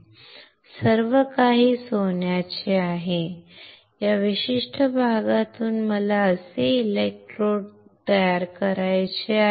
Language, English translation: Marathi, Everything is gold, from this particular part I want to fabricate electrodes like this